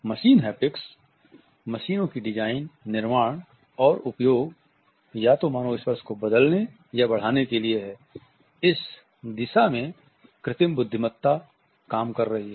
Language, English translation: Hindi, Machine Haptics is the design construction and use of machines either to replace or to augment human touch, artificial intelligence is working in this direction